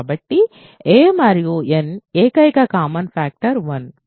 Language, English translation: Telugu, So, the only common factors of a and n are 1